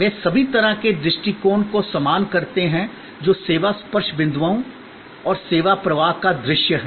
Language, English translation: Hindi, They all kind of connote the same approach, which is visualization of the service touch points and the service flow